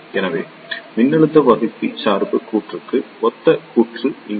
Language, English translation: Tamil, So, here is the circuit corresponding to voltage divider bias circuit